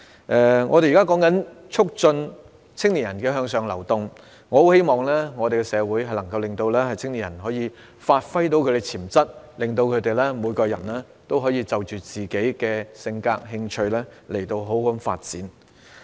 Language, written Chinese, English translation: Cantonese, 至於如何促進青年人向上流動，我很希望社會能夠讓青年人發揮潛能，讓他們每個人都可以因應自己的性格和興趣好好發展。, As for how to promote upward mobility of young people I eagerly hope that society can enable young people to give play to their potentials so that they can properly develop according to their characters and interests